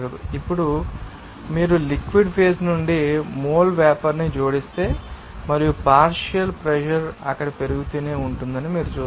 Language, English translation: Telugu, Now, you will see that if you add mole vapor up from the liquid phase and you will see that the partial pressure will keep on increasing there